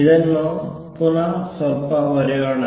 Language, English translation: Kannada, Let us rewrite this slightly